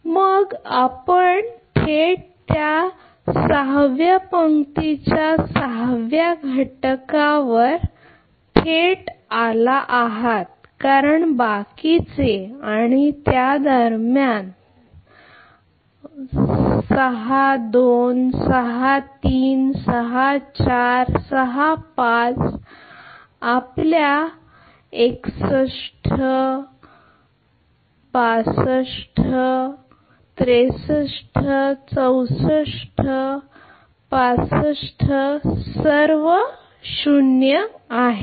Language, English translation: Marathi, Then you are directly come to the sixth element of that sixth row right because rest and between all that for your what you calls six two six three six four six five a six three six four your a 61 a 62 a 63 a 64 a 65 all are 0